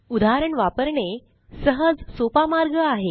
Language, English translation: Marathi, Easiest way is to use an example